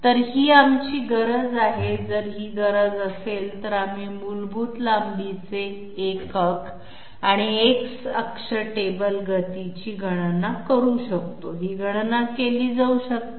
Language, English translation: Marathi, So this is our requirement, if this is the requirement we can carry out you know calculation for the basic length unit and the X axis table speed, these calculations could be carried out